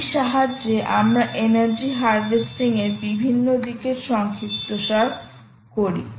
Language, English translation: Bengali, with this we sort of summarize several aspects of energy harvesting and ah